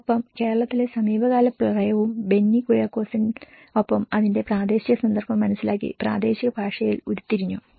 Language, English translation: Malayalam, And the recent Kerala floods with Benny Kuriakose have derived in the local language, understanding the local context of it